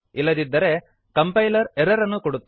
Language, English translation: Kannada, Otherwise the compiler will give an error